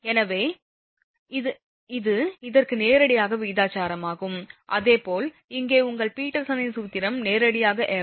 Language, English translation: Tamil, So, it is directly proportional to this and similarly your this Peterson’s formula here also directly proportional to f